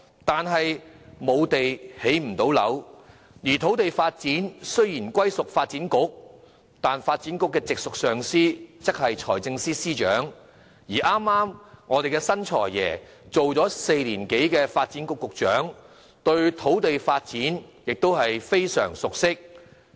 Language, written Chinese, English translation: Cantonese, 但是，沒有土地便不能建屋，而土地發展雖隸屬發展局，發展局的直屬上司卻是財政司司長，而新任"財爺"剛好當了4年多的發展局局長，對土地發展亦非常熟悉。, However housing construction will not be possible without the supply of land and although land development falls under the ambit of the Development Bureau the Financial Secretary is the immediate supervisor of the Bureau while the new God of Wealth has held the position of Secretary for Development for more than four years and is well versed in land development